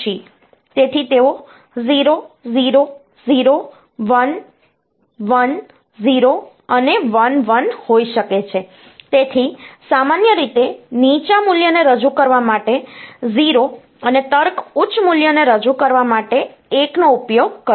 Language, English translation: Gujarati, So, if it is, they can be 0 0, 0 1, 1 0 and 1 1; so in general, will use 0 to represent the low value and 1 to represent the logic high value